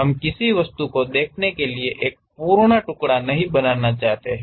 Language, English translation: Hindi, We do not want to make complete slice to represent some object